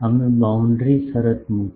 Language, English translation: Gujarati, We put boundary condition